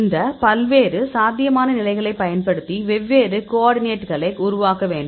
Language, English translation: Tamil, And we generate the coordinates using all these various possible states, we generate different coordinates